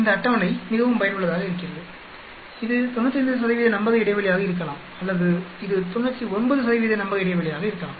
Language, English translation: Tamil, This table is very, very useful be it to 95 % confidence interval or be it 99 % confidence interval